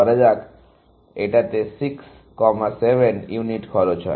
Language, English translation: Bengali, This is costing 6, 7 units, let us say